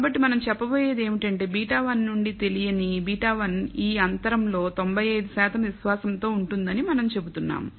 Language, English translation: Telugu, So, what all we are going to state is that the beta 1 to unknown beta 1 lies within this interval with ninety five percent confidence that is what we are saying